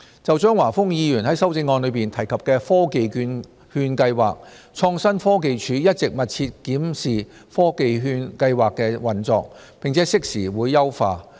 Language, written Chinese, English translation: Cantonese, 就張華峰議員在修正案中提及的科技券計劃，創新科技署一直密切檢視科技券計劃的運作，並適時優化。, Mr Christopher CHEUNG mentioned the Technology Voucher Programme TVP in his amendment . The Innovation and Technology Bureau has kept the operation of TVP under close review and has made enhancement from time to time